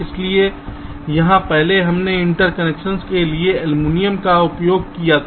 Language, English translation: Hindi, so here, um, in earlier we used aluminum for the interconnections